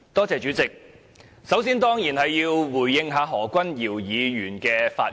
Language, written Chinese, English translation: Cantonese, 主席，首先，我當然要回應何君堯議員的發言。, Chairman first of all I must definitely respond to the remarks made by Dr Junius HO